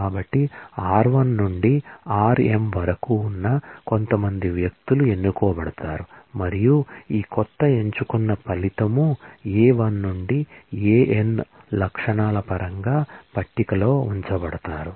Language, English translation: Telugu, So, that certain peoples from the relations r1 to rm, will be chosen and put in this new selected result, table in terms of the attributes A1 to An